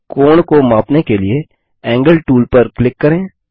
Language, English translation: Hindi, To measure the angle, click on the Angle tool